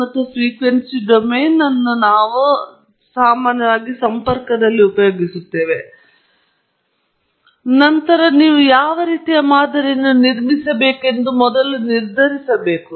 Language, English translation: Kannada, So, you have to work backwards, and then, make a decision on what kind of model you want to build